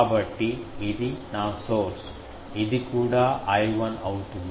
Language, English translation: Telugu, So, if I have this source, this one, this one also will be I 1